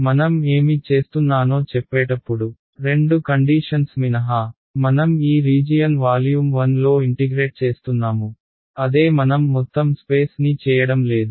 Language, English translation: Telugu, Except two conditions are there when I say what I am doing is, I am integrating over this region volume 1, that is what I am doing not the entire space right